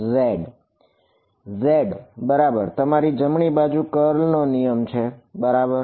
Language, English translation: Gujarati, z right your right hand curl rule right